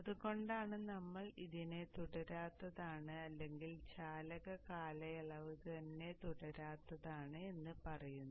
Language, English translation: Malayalam, So that is why we say it is discontinuous or the conduction period itself is discontinuous